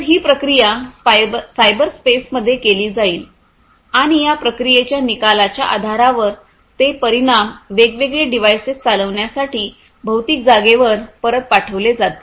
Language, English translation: Marathi, So, it will be done this processing will be done in the cyberspace and based on the results of this processing those results will be sent back to the physical space for actuating different devices right